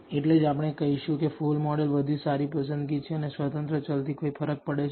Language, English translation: Gujarati, That is we will say the full model is better choice and the independent variables do make a difference